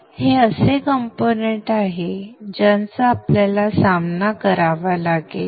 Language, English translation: Marathi, So these are the components that we will be